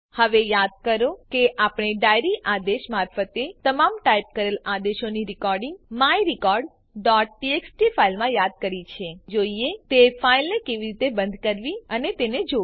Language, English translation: Gujarati, Now recall that we invoked a recording of all the typed commands into the file myrecord.txt through the diary command, Now, lets see how to close that file and view it